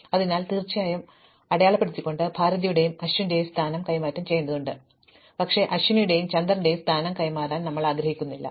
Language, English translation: Malayalam, So, when we sort this by marks of course, we need to exchange the position of Bharathi and Ashwin, but we do not want to exchange the position of Aswini and Chander